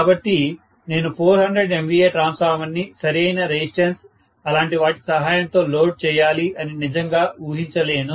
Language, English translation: Telugu, So, I cannot really expect to be loading a 400 MVA transformer with the help of a proper resistance and things like that